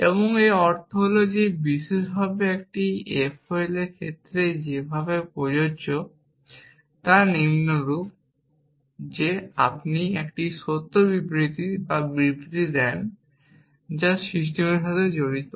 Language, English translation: Bengali, And what this means is that in particular it the way it applies to F O L is as follows that if you gave a true statement or statement which is entailed to the system